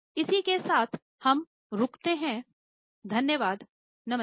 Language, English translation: Hindi, So, with this we will stop